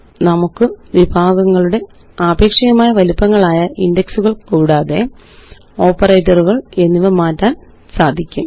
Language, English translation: Malayalam, We can change the relative sizes of other categories such as the text or indexes or operators